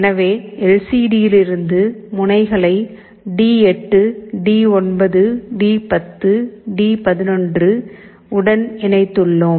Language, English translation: Tamil, So, we have connected the pins from the LCD to D8, D9, D10, D11 and this enable to D12 and RS to D13